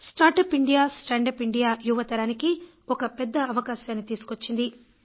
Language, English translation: Telugu, "Startup India, Standup India" brings in a huge opportunity for the young generation